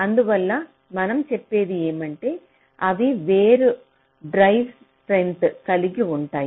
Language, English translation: Telugu, thats why we say here is that they can have different drive strengths